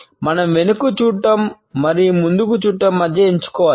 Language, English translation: Telugu, We have to choose between looking backwards and looking forwards